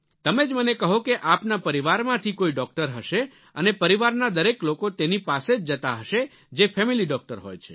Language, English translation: Gujarati, You tell me, you must be having a family doctor to whom all the members of your family must be going whenever needed